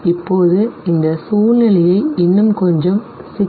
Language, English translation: Tamil, Now let us make this situation a little more complex